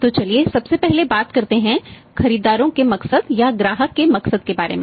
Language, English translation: Hindi, So, let us talk first about the buyers motive that of the customers motive